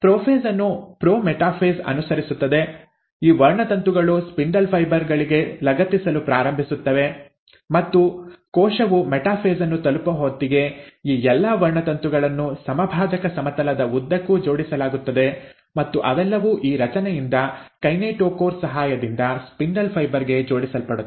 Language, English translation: Kannada, The prophase is followed by the prometaphase, at which, these chromosomes start attaching to the spindle fibres, and by the time the cell reaches the metaphase, all these chromosomes are arranged along the equatorial plane and they all are attached to the spindle fibre through this structure which is with the help of a kinetochore